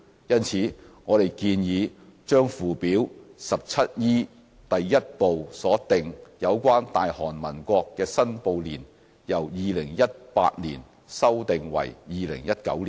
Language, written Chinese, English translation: Cantonese, 因此，我們建議把附表 17E 第1部所訂有關"大韓民國"的申報年由 "2018" 年修訂為 "2019" 年。, We therefore propose that the reporting year in respect of Republic of Korea under Part 1 of Schedule 17E be amended from 2018 to 2019